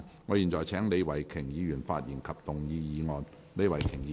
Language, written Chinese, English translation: Cantonese, 我現在請李慧琼議員發言及動議議案。, I now call upon Ms Starry LEE to speak and move the motion